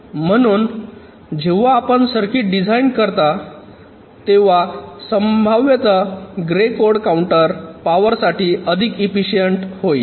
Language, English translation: Marathi, so when you design a circuit, expectedly grey code counter will be more efficient in terms of power